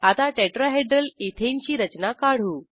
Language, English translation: Marathi, Now, lets draw Tetrahedral Ethane structure